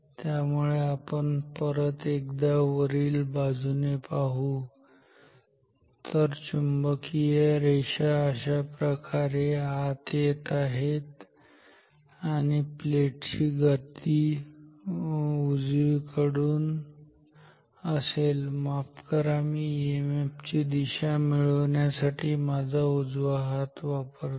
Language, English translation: Marathi, So, let us see again from the top, flux lines entering like this ok, motion of the plate is from right sorry I seduced my right hand right hand for getting the EMF